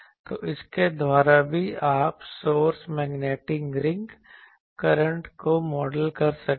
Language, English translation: Hindi, So, by that also you can model the source magnetic ring current